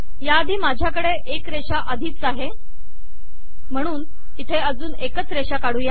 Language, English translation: Marathi, Before this I already have the line here so let me just put this here